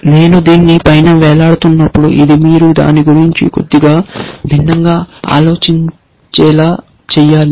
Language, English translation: Telugu, And when I say hanging above this, this has to sort of make you think about it slightly differently